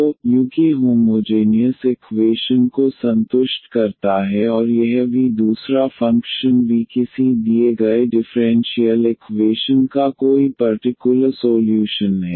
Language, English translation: Hindi, So, the u satisfies that homogeneous equation and this v another function v be any particular solution of the given differential equation